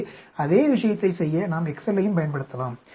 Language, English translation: Tamil, So, we can use excel also to do the same thing